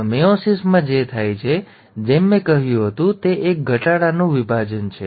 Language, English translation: Gujarati, Now in meiosis, what happens is, there are, as I said, it is a reduction division